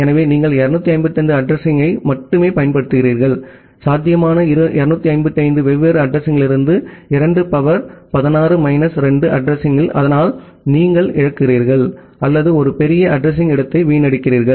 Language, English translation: Tamil, So, you are using only 255 address, in 255 different addresses out of possible 2 the power 16 minus 2 addresses, so that is you are losing or you are wasting a huge address space